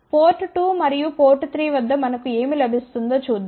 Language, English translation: Telugu, And let us see what do we get at port 2 and port 3